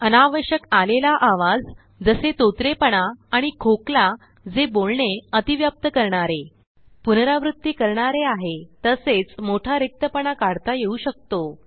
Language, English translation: Marathi, Unwanted sounds such as stammering and coughs that dont overlap the speech, repeats, and long silences can be removed